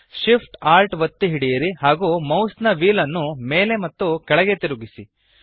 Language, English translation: Kannada, Hold Shift, Alt and scroll the mouse wheel up and down